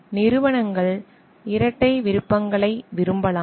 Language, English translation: Tamil, The companies may prefer for dual roles